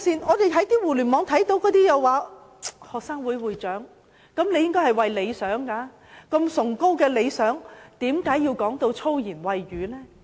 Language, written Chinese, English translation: Cantonese, 我們在互聯網上看到，一些青年人是學生會會長，他們應有崇高的理想，為何要說粗言穢語？, We saw on the Internet that some young people using vulgar language to hurl abuses . Some of these young people being chairmen of student unions should have lofty ideals